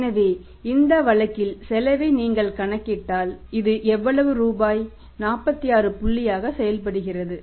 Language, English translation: Tamil, So if you calculate the cost in this case here this works out as how much rupees 46 point This is 46